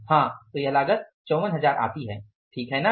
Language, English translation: Hindi, Right, this cost works out as 54,000